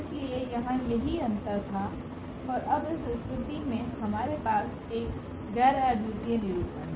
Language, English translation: Hindi, So, that was the difference here and now in this case we have a non unique representation